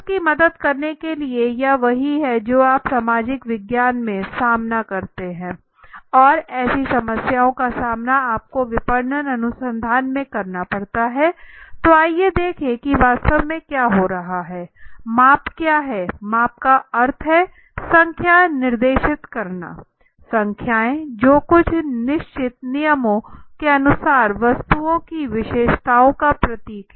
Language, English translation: Hindi, So to help this, this is what you face in social science right and this is what you face such problems you faced in marketing research right so let us see what exactly is happening in this so what is the measurement it say measurement means assigning numbers, numbers which or symbols to characteristics of objects according to certain prespecified rules right